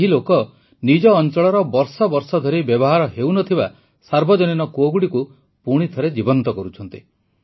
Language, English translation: Odia, These people are rejuvenating public wells in their vicinity that had been lying unused for years